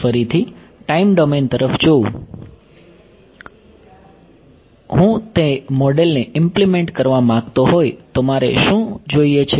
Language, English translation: Gujarati, Again looking back at the time domain picture if I wanted to implement that model what do I need